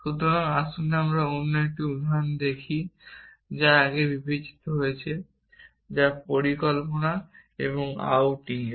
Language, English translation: Bengali, So, let us look at another a example that we have considered earlier which is that of planning and outing